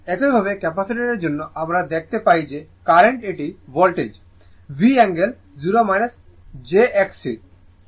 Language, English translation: Bengali, Similarly, for capacitor we see the currently it is the voltage, V angle 0 minus jX C